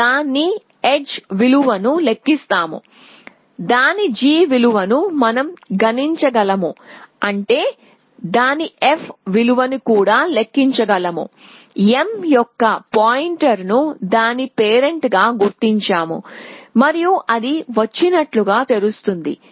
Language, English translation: Telugu, So, we compute its edge value we compute its g value which means we can compute its f value, we mark the pointer of m as its parent that it came from and add it to open essentially